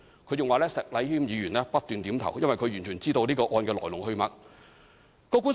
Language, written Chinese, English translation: Cantonese, 她還說石禮謙議員不斷點頭，因為他完全知道這個案的來龍去脈。, She further said that Mr Abraham SHEK was nodding constantly for he knew the reasons and developments of the case